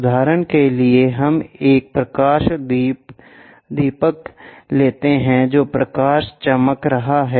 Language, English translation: Hindi, For example, let us takes a light lamp which is shining light